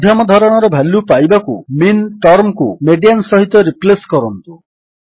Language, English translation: Odia, To find the median value, replace the term MIN with MEDIAN